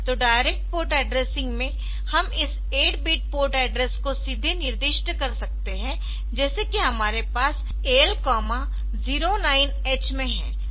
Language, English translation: Hindi, So, in direct port addressing; so, we can have this 8 bit port address directly specified like this I can have in AL comma 09H